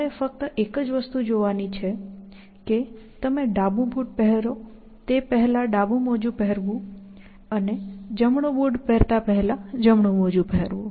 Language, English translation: Gujarati, The only thing that you have to do is to wear the left sock before you wear the left shoe and wear the right sock before you wear the right shoes